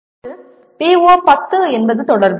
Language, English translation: Tamil, Now, PO 10 is Communication